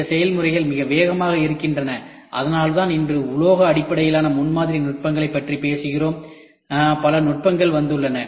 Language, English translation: Tamil, These processes are very fast that is why today we talk about metal based prototyping techniques, there are several techniques which has come